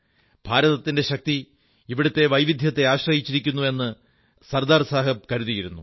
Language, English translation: Malayalam, SardarSaheb believed that the power of India lay in the diversity of the land